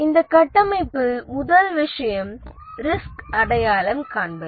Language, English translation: Tamil, The first thing in this framework is risk identification